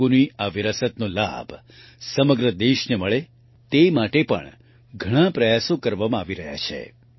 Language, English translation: Gujarati, Many efforts are also being made to ensure that the whole country gets the benefit of this heritage of Telugu